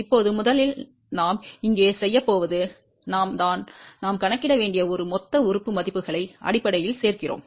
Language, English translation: Tamil, Now, first thing we are do going to do here is we are adding basically a lumped element values we need to calculate that